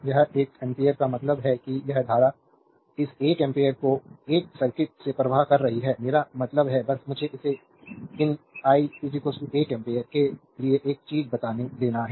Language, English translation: Hindi, This one ampere means this current is flow this one ampere flowing through this circuit, I mean, just let me make it one thing for you these i is equal to 1 ampere